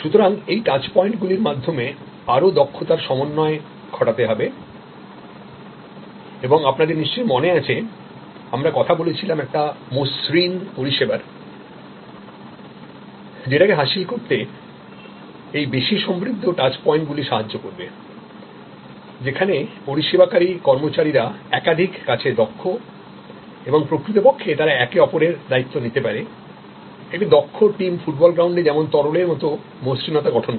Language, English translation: Bengali, So, build in more competency in to the touch points and as you recall we also talked about seem less service, which also that approach is helped by this enriched touch points, where service employees are multi skilled and they can actually take on each other responsibility as needed, as a fluid formation on the food ball ground by an expert team